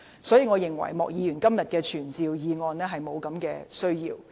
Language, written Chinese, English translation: Cantonese, 所以，我認為莫議員的傳召議案沒有需要。, Therefore I consider Mr MOKs motion to summon the Secretary for Justice to be unnecessary